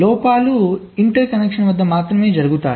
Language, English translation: Telugu, faults can only happen at the interconnections